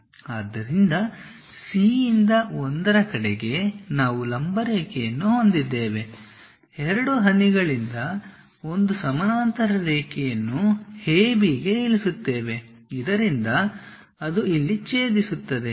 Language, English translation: Kannada, So, from C we have located 1 drop a perpendicular line, from 2 drop one more parallel line to A B so that it goes intersect here